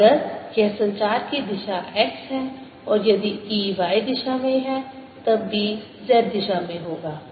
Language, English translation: Hindi, so if this is a direction of propagation x, and if e happens to be in the y direction, then b would be in the z direction